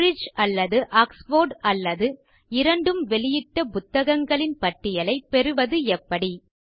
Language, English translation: Tamil, How can we get a list of only those books for which the publisher is Cambridge or Oxford or both